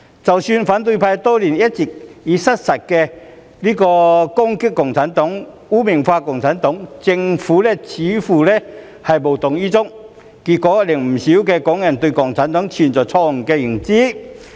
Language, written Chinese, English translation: Cantonese, 即使反對派多年來一直以失實言論攻擊共產黨及將其污名化，但政府似乎無動於衷，結果令不少港人對共產黨存在錯誤的認知。, The Government seems to be indifferent to the years of attack and stigmatization of CPC by the opposition camps inaccurate statements which has caused a misunderstanding about CPC among many Hong Kong people